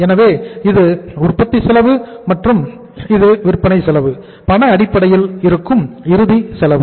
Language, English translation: Tamil, So this is the manufacturing cost and this is the say cost of sales, final cost which is on the cash basis